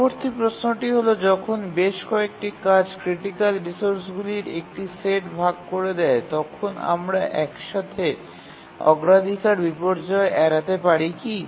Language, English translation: Bengali, When several tasks share a set of critical resources, is it possible to avoid priority inversion altogether